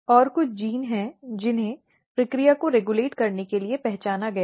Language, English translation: Hindi, And there are some genes which has been identified to regulate the process